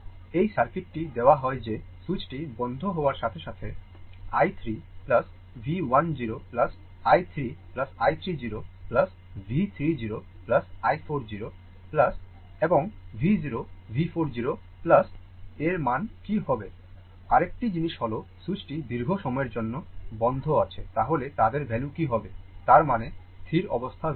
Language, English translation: Bengali, This is the circuit which is given that as soon as the switch is closed, what will be the value of i 1 0 plus V 1 0 plus i 2 0 plus V 2 0 plus V 3 0 plus i 4 0 plus and V 0 V 4 0 plus another thing is another thing is ah that the switch is closed for long time, then what will be their values; that means, steady state values